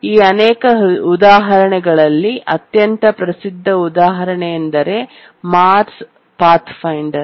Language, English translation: Kannada, Out of these many examples, possibly the most celebrated example is the Mars Pathfinder